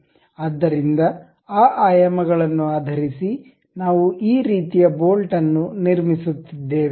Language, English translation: Kannada, So, based on those dimensions we are constructing this kind of bolt